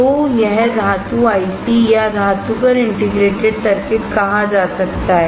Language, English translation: Hindi, So, this is called metal can IC or metal can integrated circuit